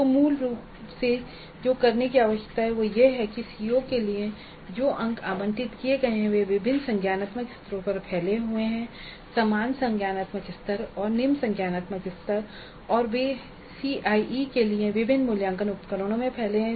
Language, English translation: Hindi, So basically what needs to be done is that the marks for the CO which have been allocated are spread over different cognitive levels the same cognitive level and lower cognitive levels and they are spread over different cognitive levels, the same cognitive level and lower cognitive levels and they are spread over different assessment instruments for the CIE